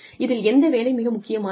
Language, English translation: Tamil, Which of these jobs is more important